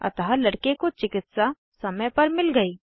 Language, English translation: Hindi, So the boy got the medical aid in time